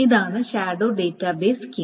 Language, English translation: Malayalam, So this is the shadow database scheme